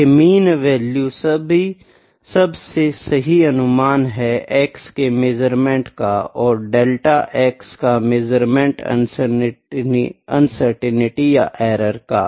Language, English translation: Hindi, This mean value is the best estimate of the measurement of x, and delta x is the uncertainty or error in the measurements